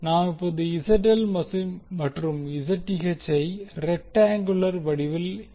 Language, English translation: Tamil, Now, let us represent ZL and Zth in rectangular form